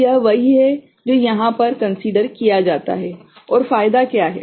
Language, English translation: Hindi, So, this is what is considered over here and what is the benefit